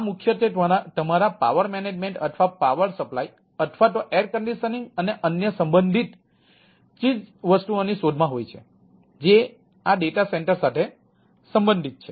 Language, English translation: Gujarati, these are providing primary looking for your power management or power supply or air conditioning, right, and ah, other ah, um related stuff which is related to this data center things